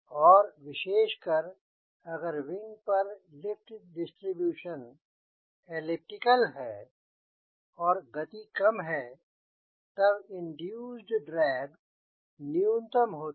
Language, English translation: Hindi, and typically if the wing has elliptic lift distribution and at a lower speed distribution, then induced drag is minimum